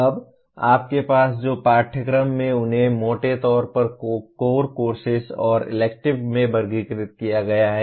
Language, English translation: Hindi, Now, courses that you have are broadly classified into core courses and electives